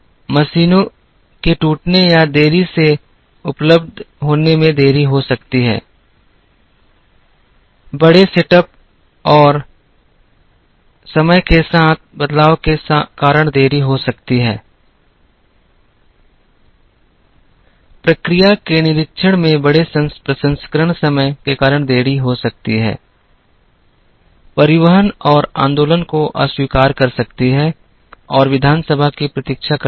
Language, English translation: Hindi, There can be delays with machines breaking down or not being available,there can be delays due to large set up and change over times, delay due to large processing times due to in process inspection, rejects transportation and movement and waiting for assembly